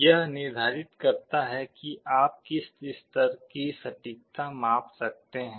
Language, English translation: Hindi, This determines to what level of accuracy you can make the measurement